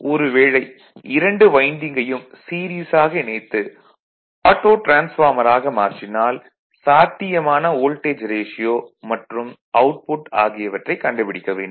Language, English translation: Tamil, Now if the 2 windings of the transformer are connected in series to form as auto transformer find the possible voltage ratio and output right